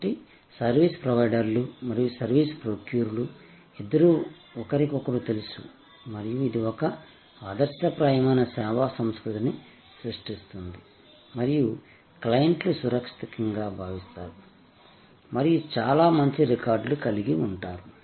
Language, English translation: Telugu, So, both service providers and service procurers are known to each other and that creates an exemplary service culture and the clients feels safe and very good record